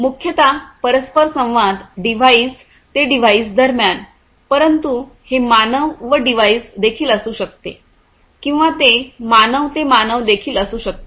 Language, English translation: Marathi, Interaction primarily between devices device to device, but it could also be device to humans or it could be even human to human right